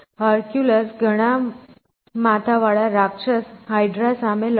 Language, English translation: Gujarati, So, Hercules fighting this many headed monster called hydra